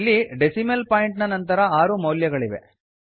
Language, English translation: Kannada, We see here three values after the decimal point